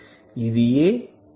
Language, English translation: Telugu, It is 1